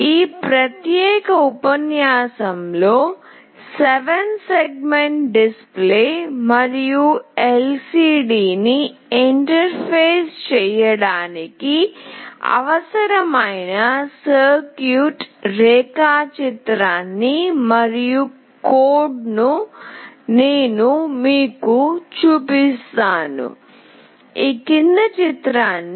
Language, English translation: Telugu, In this particular lecture, I will be showing you the circuit diagram and the code that is required for interfacing the 7 segment display and the LCD